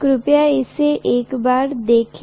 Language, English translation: Hindi, Please check it out once